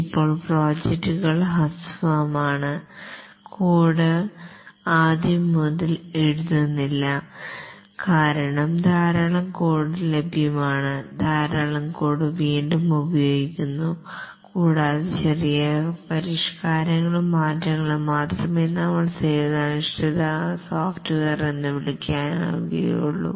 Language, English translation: Malayalam, Now the projects are short and the code is not written from scratch because lot of code is available, lot of code is being reused and only small modifications and tailoring is done which we called as service oriented software